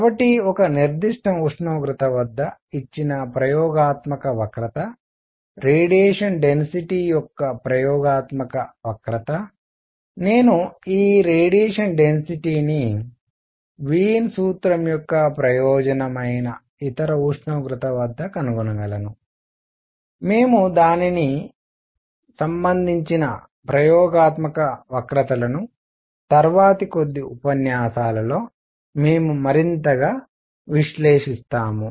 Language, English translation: Telugu, So, given experimental curve at one particular temperature, the experimental curve for spectral density, I can find these spectral density at any other temperature that is the utility of Wien’s formula, we will analyze it further vis a vis, we experimental curves in the next few lectures